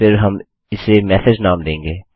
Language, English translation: Hindi, Then we will name it as message